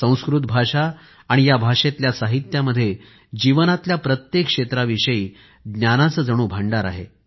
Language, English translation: Marathi, Sanskrit language & literature encompasses a storehouse of knowledge pertaining to every facet of life